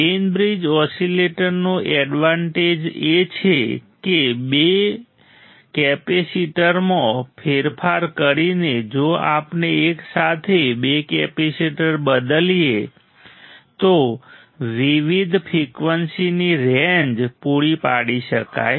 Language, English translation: Gujarati, Advantage of Wein bridge oscillator is that by varying two capacitors; we if we varying two capacitors simultaneously right different frequency ranges can be provided